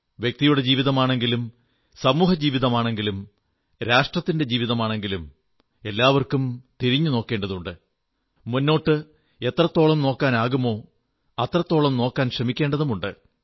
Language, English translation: Malayalam, Whether it be the life of an individual, the life of a society at large or the life of a Nation collectively, everybody has to look back & ponder; at the same time one has to try & look forward to the best extent possible